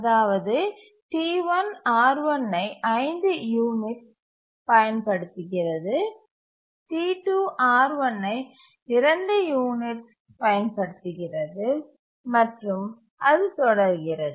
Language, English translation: Tamil, T1 uses R1 for 5 units, T2 needs to use R1 for 2 units and so on